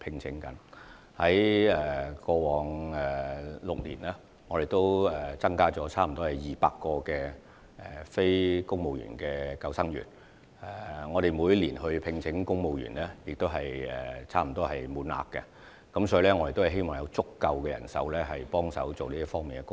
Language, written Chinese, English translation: Cantonese, 在過往6年，我們增加了近200名非公務員救生員，而在每年公務員救生員招聘中，我們聘請到的人手也是接近滿額的。, In the past six years the number of NCSC lifeguards has increased by about 200 . In the annual recruitment exercises for civil service lifeguards the number of lifeguards recruited is close to our target